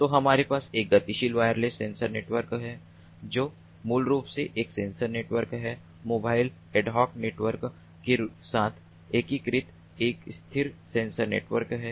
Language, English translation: Hindi, so we have a mobile wireless sensor network which is basically a sensor network [a sation/a stationary], a stationary sensor network conceptually integrated with a mobile ad hoc network, you know